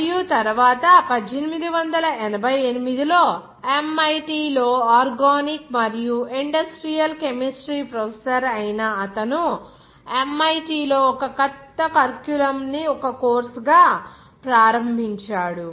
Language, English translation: Telugu, And, later in 1888, that is a professor of organic and industrial chemistry at MIT he started a new curriculum at MIT as a course 10